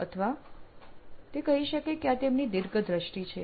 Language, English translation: Gujarati, Or he could say this is his other long term vision